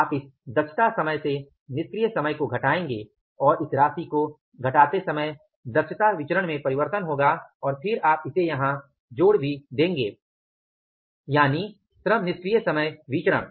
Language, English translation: Hindi, You will subtract minus idle time from this efficiency time and from the efficiency variance and by subtracting this amount this efficiency variance will change and then you will add it up here also that is the LITV labor idle time variance